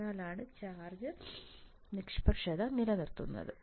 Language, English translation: Malayalam, That is why the charge neutrality would be maintained